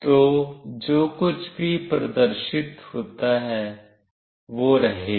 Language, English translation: Hindi, So, whatever is displayed will remain